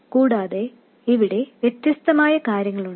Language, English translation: Malayalam, And also there are different things here